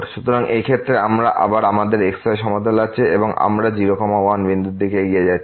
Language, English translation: Bengali, So, in this case we have again this plane and we are approaching to the point